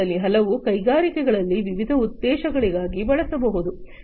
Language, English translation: Kannada, Many of these could be used for different purposes in the industries